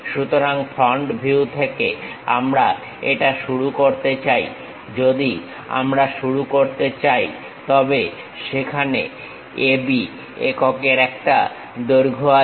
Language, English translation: Bengali, So, we would like to begin this one, from the front view if I would like to begin, then there is a length of A B units